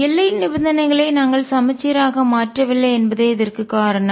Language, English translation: Tamil, This is because we have not made the boundary conditions symmetric